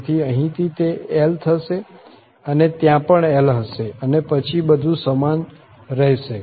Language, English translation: Gujarati, So, here will be L and there will be also L and then everything will remain the same